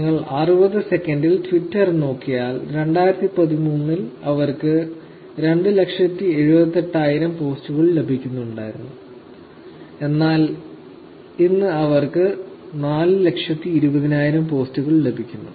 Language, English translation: Malayalam, If you look at Twitter in 60 seconds, in 2013 they seem to be getting 278,000 posts, but today they are getting 420,000 posts